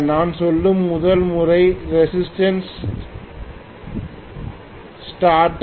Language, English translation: Tamil, The first method I would say is resistance starter